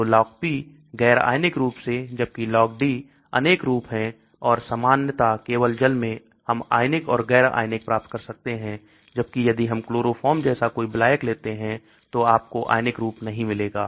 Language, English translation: Hindi, So Log P is the un ionised form whereas Log D is the ionised form and generally only in the aqueous we find the ionised and un ionised whereas if we take a solvent like chloroform you will not find the ionised form